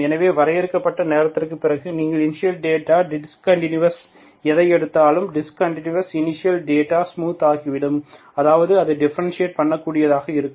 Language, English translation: Tamil, So as T, after finite time you always, whatever you give initial data as a discontinuous thing, discontinuous initial data will be smoothened and out, that means it will be differentiable